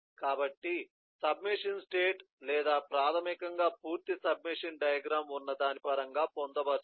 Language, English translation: Telugu, so the submachine state or states which basically have complete submachine diagram, incorporated in terms of it